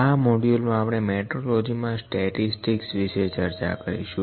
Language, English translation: Gujarati, In this module, we are discussing the statistics in metrology